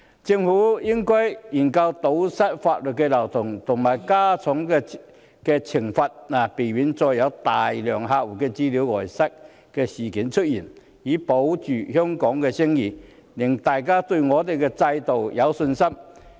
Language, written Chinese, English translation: Cantonese, 政府應研究堵塞法律漏洞及加重刑罰，避免再有大量客戶資料外泄的事件出現，以保住香港的聲譽，令大家對香港的制度有信心。, The Government should examine ways to plug the legal loopholes and impose heavier penalties to prevent the recurrence of massive leak of customer data and preserve Hong Kongs reputation thereby resuming peoples confidence in Hong Kongs system